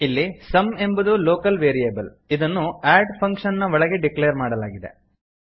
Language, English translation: Kannada, Here sum is a local variable it is declared inside the function add